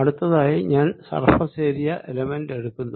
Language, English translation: Malayalam, next, let's look at the area element